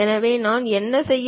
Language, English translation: Tamil, So, what I have to do